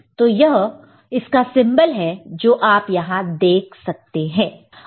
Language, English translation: Hindi, So, this is the corresponding symbol that you see over here